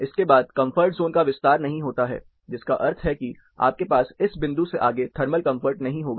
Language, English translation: Hindi, Beyond this, the comfort zone does not extend, which means you will not have thermal comfort beyond this point